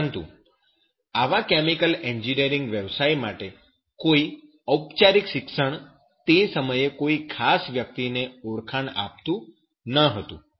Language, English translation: Gujarati, But there was no formal education for such chemical engineering profession to given to a particular person recognition at that time